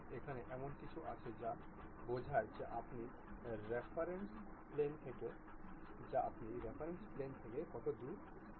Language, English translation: Bengali, And, there is something like how far you would like to really go from the plane of reference